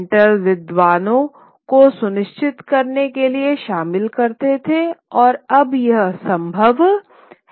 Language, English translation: Hindi, Printers engaged scholars in ensuring that the, and now it is possible